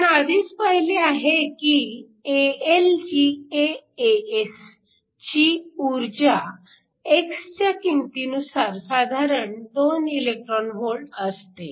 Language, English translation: Marathi, Already saw AlGaAs that has energy around 2 electron holes depending upon the value of x